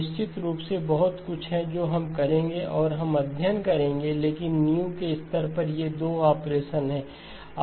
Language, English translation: Hindi, Of course there is lot more that we will do and we will study but at the foundational level, these are the 2 operations